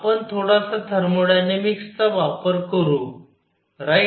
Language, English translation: Marathi, We use a little bit of thermodynamics, right